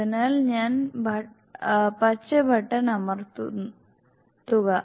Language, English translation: Malayalam, So I press the green button